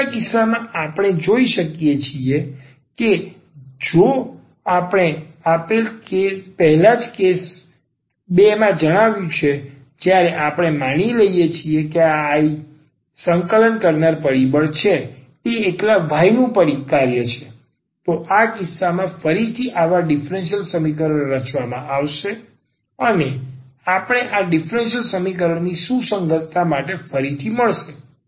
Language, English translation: Gujarati, Now, the other case also we can deal which we have just stated before in the case 2, when we assume that this I the integrating factor is a is a function of y alone in that case again such a differential equation will be formed and we will get again for the consistency of this differential equation